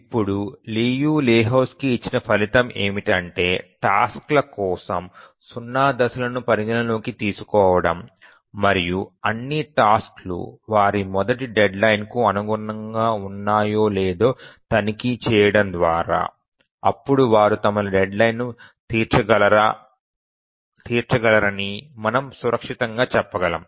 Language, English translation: Telugu, Now we know the result given by Liu Lehuzki that consider zero phasing for the tasks and check if all the tasks meet their first deadline and then we can safely say that they will meet all their deadlines